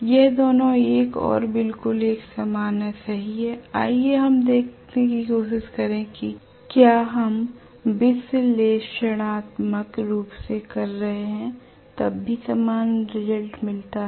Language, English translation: Hindi, Both of them are going to be exactly one and the same right, let us try to see whether we get a similar result even when we are doing it analytically